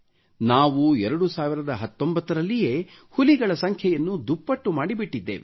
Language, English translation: Kannada, We doubled our tiger numbers in 2019 itself